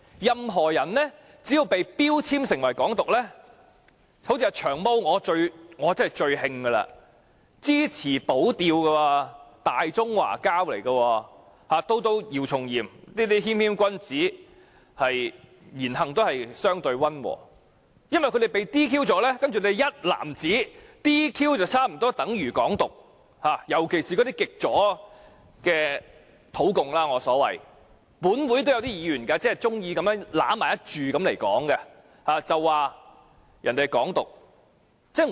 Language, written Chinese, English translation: Cantonese, 任何人只要被標籤為"港獨"，像最令我不解的"長毛"這種支持"保釣"的"大中華膠"，以至姚松炎這種言行相對溫和的謙謙君子，單單因為被撤銷議員資格便被一籃子地視為"港獨"分子，特別是那些所謂極左的土共。, These people especially indigenous communists of the so - called leftist camp can wilfully label anyone as an advocate of Hong Kong independence and it is most puzzling to me that even Long Hair a Greater Chinese moron who supports the defending of the Diaoyu Islands and YIU Chung - yim a humble gentleman who has been relatively cautious with his words and deeds can be sweepingly regarded as Hong Kong independence advocates simply because they have been disqualified from office